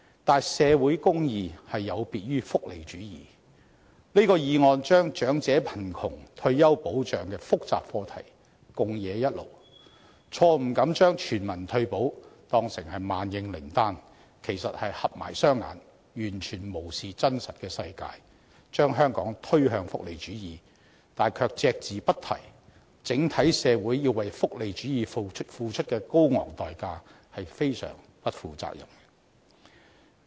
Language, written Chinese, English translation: Cantonese, 可是，社會公義有別於福利主義，這項議案把長者貧窮和退休保障的複雜課題混為一談，錯誤地把全民退保當成萬應靈丹，其實便是閉起雙眼，完全無視真實的世界，把香港推向福利主義，卻隻字不提整體社會要為福利主義付出的高昂代價，這是相當不負責的。, However social justice differs from welfarism . This motion confuses the complicated subjects of elderly poverty and retirement protection wrongly presenting universal retirement protection as the antidote to the problem . In fact the sponsor has turned a blind eye to the situation in the real world blindly pushing Hong Kong to welfarism without mentioning the high cost to be borne by society as a whole on adopting welfarism